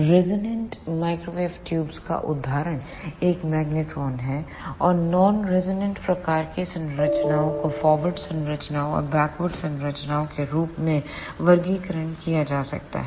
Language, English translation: Hindi, The example of ah resonant microwave tubes is a magnetron and the non resonant type of structures can be classified as forward wave ah structures and backward wave structures